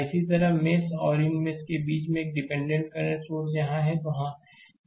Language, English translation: Hindi, Similarly, between these mesh and these mesh, another dependent current source is there, this is independent current source this is